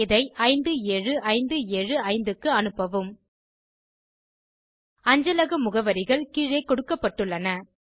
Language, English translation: Tamil, and send to 57575 The postal addresses are as shown